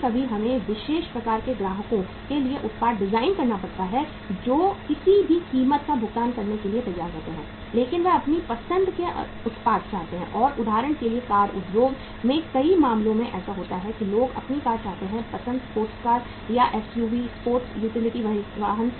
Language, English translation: Hindi, Sometime we have to design the product for the special type of the customers who are ready to pay any price but they want the product of their choice and in many cases for example in the car industry it happens that people want to have the cars of their choice, sports cars or SUVs, sports utility vehicles